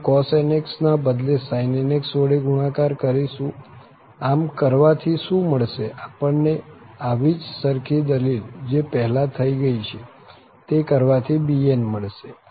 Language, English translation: Gujarati, We will multiply by sin nx instead of cos nx, by doing so what we can get, we can get bn with the similar same argument which is done earlier